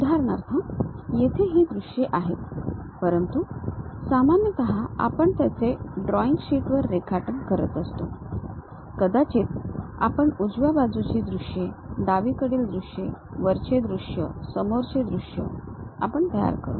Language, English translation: Marathi, For example here these are the views, but usually we construct it on sheet, our drawing sheets; perhaps right side views, left side views, top view, front view we construct